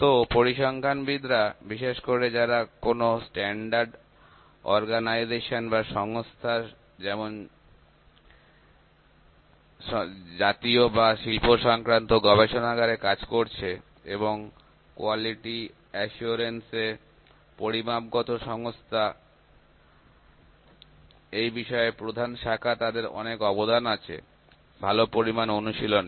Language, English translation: Bengali, So, stasticians notably those who worked in standards organization such as national and industrial laboratories and in quality assurance and statistical organizations, in main sections concerns have contributed to good measurement practice